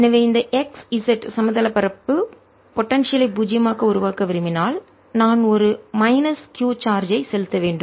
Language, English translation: Tamil, so if i want to make the potential zero on this x z plane, then i should be putting a minus q charge